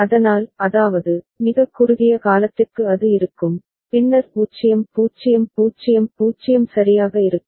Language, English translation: Tamil, So; that means, for a very short duration it will be there and then 0 0 0 0 will be there right